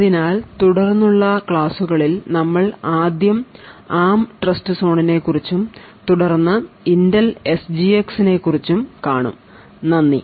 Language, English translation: Malayalam, So, in the lectures that follow, we will be first looking at the ARM Trustzone and then we will be looking at Intel SGX, thank you